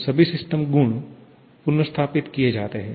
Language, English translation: Hindi, So, all system properties are restored